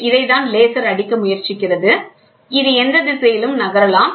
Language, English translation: Tamil, So, this is what we say a laser tries to hit, and this it moves in any direction